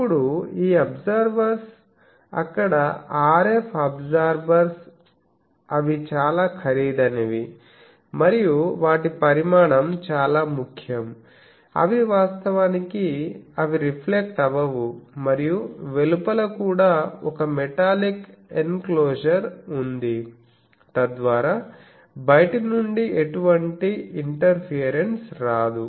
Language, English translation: Telugu, Now this absorbers there RF absorbers, they are quite costly and their size is important actually they work on the principle that they absorb the weight they do not reflect at all and also outside there is a metallic enclosure, so that from outside no a thing comes